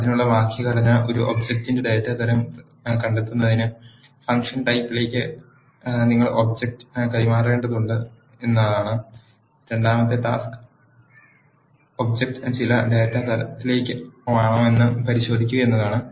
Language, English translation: Malayalam, The syntax for doing that is you need to pass the object as an argument to the function type of to find the data type of an object The second task is, to verify if object is of certain data type